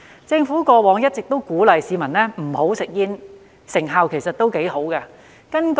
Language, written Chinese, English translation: Cantonese, 政府過往一直鼓勵市民不要吸煙，成效其實也不錯。, The Government has been dissuading people from smoking and the results have been quite good